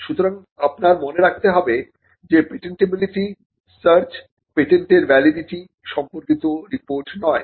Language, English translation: Bengali, So, you need to bear in mind that a patentability search is not a report on the validity of a patent